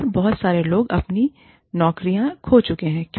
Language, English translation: Hindi, And, a lot of people, have lost their jobs